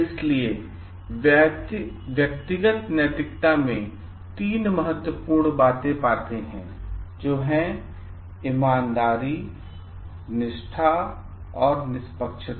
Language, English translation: Hindi, So, what we find in individual ethics 3 important things; honesty, integrity and fairness